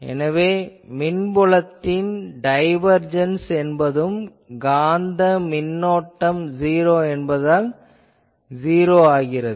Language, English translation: Tamil, So, electric field you see that the divergence of the electric field due to the magnetic current that is 0